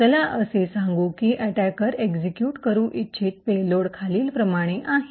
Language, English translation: Marathi, Let us say that the payload that the attacker wants to execute is as follows